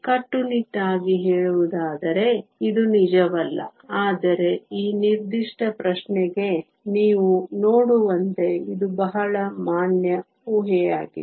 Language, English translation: Kannada, Strictly speaking, this is not true, but as you see for this particular question, this is a very valid assumption